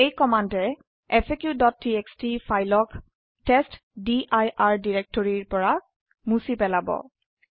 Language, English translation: Assamese, This command will remove the file faq.txt from the /testdir directory